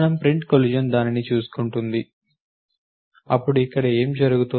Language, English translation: Telugu, And the print collision will take care of it then what is happening here